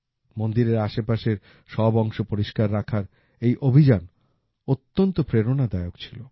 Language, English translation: Bengali, This campaign to keep the entire area around the temples clean is very inspiring